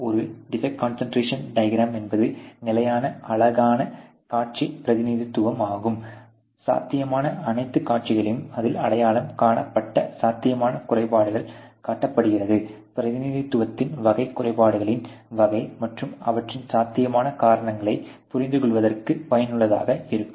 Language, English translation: Tamil, A defect concentration diagram is a visual representation of the unit under steady, showing all possible views with possible defects identified on it, the type of representation is usefull in understanding the type of defects and their possible causes